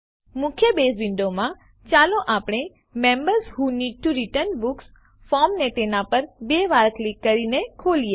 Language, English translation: Gujarati, In the main Base window, let us open the Members Who Need to Return Books form by double clicking on it